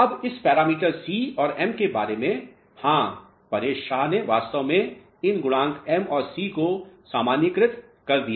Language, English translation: Hindi, Now, regarding this parameter c and m, yes Paresh Shah actually what he did is he generalized these coefficients m and c